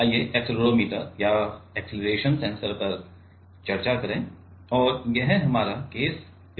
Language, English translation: Hindi, So, let us discuss on accelerometer or acceleration sensor and this is our case study 2